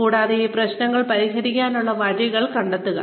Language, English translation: Malayalam, And, find ways, to solve these problems